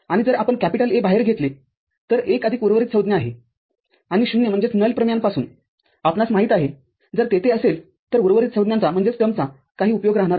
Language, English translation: Marathi, And if you take A out, then 1 plus rest of the term; and we know one from the null theorem if one is there the rest of the terms of is of no use